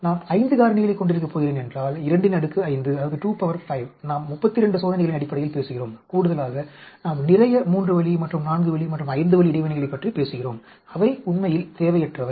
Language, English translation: Tamil, If I am going to have a 5 factors, 2 raise to the power 5, we are talking about in terms of 32 experiments and in addition, we are also talking about lot of 3 way and 4 way and 5 way interactions which are redundant actually